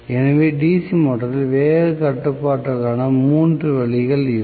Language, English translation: Tamil, So these are the 3 ways of speed control in the DC motor